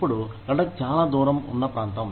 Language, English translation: Telugu, Now, Ladakh is a far flung area